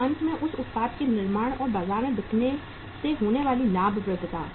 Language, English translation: Hindi, And finally the profitability coming out of that manufacturing their product and selling that in the market